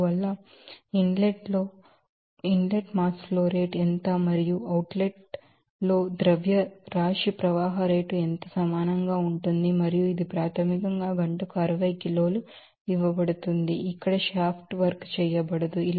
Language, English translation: Telugu, So, you can write what is the mass flow rate in inlet and what the mass flow rate in outlet that will be equal and that is basically 60 kg per hour is given and here no shaft work is done